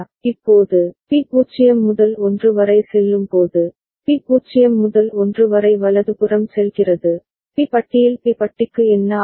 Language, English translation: Tamil, Now, when B goes from 0 to 1, B goes from 0 to 1 right, B bar what happens to B bar